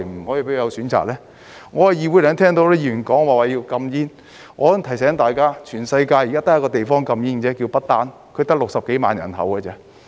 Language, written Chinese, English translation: Cantonese, 我剛才在議會聽到很多議員說要禁煙，我想提醒大家，全世界現時只有一個地方禁煙，那個地方叫不丹，只得60幾萬人口。, Just now I have heard many Members in this legislature talking about a smoking ban . I would like to remind all of you that only one place in the world has banned smoking at present and that place is called Bhutan which has a population of only some 600 000